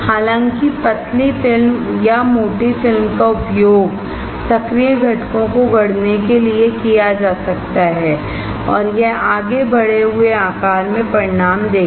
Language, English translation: Hindi, Though, thin film or thick film can be used to fabricate active components and it will further result in increased size